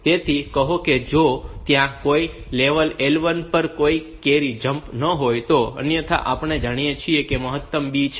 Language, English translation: Gujarati, So, if there is if there is no carry jump on no carry to say some level L1, otherwise we know that the maximum is the B